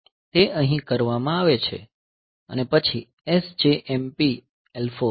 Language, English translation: Gujarati, So, that is done here and then SJMP L 4